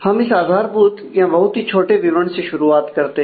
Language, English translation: Hindi, So, let us start with a basic this is a very small description